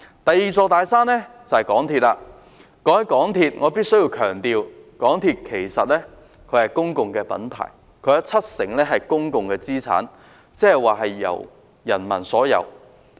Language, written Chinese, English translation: Cantonese, 談到港鐵公司，我必須強調，港鐵公司其實是公共品牌，其七成資產是公有的，即由市民擁有。, Speaking of MTRCL I must emphasize that MTRCL is actually a public brand since 70 % of its assets are publicly owned that is owned by the public